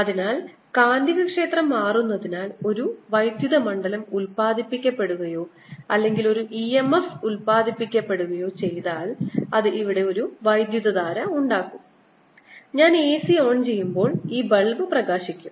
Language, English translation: Malayalam, so if there is an electric field produce or there is an e m f produced due to changing magnetic field, it should produce a current here and this bulb should light up when i turn the a c on